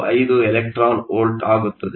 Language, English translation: Kannada, 45 electron volts